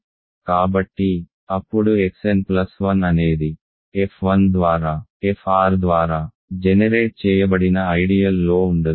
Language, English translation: Telugu, So, then X N plus 1 cannot be in the ideal generated by f 1 through f r